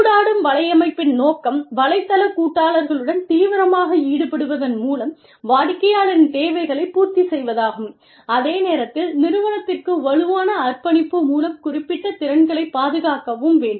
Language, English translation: Tamil, The aim of interactive networking is, to meet the needs of clients, by actively engaging with network partners, while protecting firm specific skills, often via, strong commitment to the organization